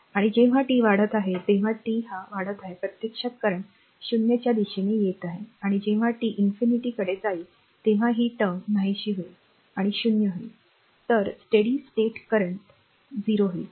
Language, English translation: Marathi, And when t is your increasing, when t is increasing this current actually approaching towards 0 and when t tends to infinity t is going to infinity right this term will vanish it will be 0